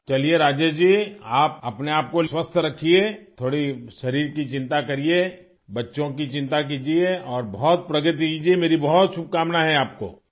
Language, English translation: Urdu, Alright, Rajesh ji, keep yourself healthy, worry a little about your body, take care of the children and wish you a lot of progress